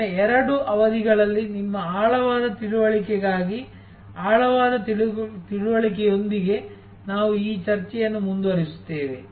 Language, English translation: Kannada, We will continue this discussion with a deeper understanding for your deeper understanding over the next two sessions